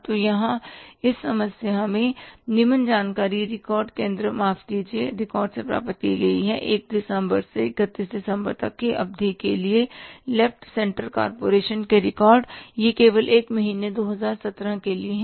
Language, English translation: Hindi, So what is the problem given to us here the problem is the following information has been obtained from the record center, sorry records of the left center corporation for the period from December 1 to December 31 this only for one month 2017